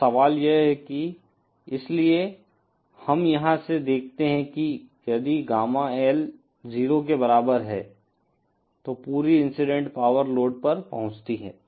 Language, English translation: Hindi, Now the question isÉ So we see from here if Gamma L is equal to 0, then the entire incident power is delivered to the load